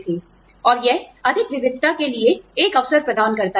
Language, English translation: Hindi, And, it provides an opportunity for greater diversity